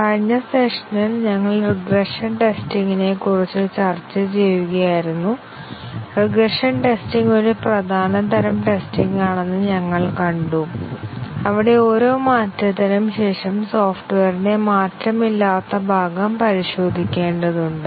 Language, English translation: Malayalam, In the last session, we were discussing about regression testing and we saw that regression testing is an important type of testing, where we need to test the unchanged part of the software after each change